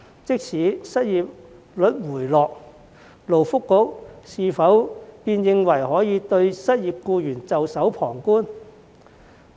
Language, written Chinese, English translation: Cantonese, 即使失業率回落，勞工及福利局是否便認為可以對失業僱員袖手旁觀？, So what? . Even if the unemployment rate falls does the Labour and Welfare Bureau think that it can simply sit back and do nothing to help the unemployed employees